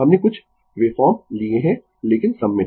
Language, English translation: Hindi, We have taken some wave form, but symmetrical